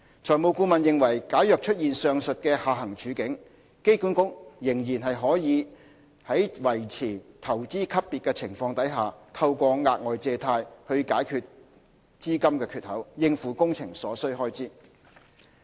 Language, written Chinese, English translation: Cantonese, 財務顧問認為假如出現上述的下行處境，機管局仍然可以在維持投資級別的情況下，透過額外借貸去解決資金缺口，應付工程所需開支。, The financial advisor considered that in the event that these downside scenarios were to occur AA would still be able to maintain an investment grade rating and raise further debt to fund the consequential funding shortfall for meeting the project expenditure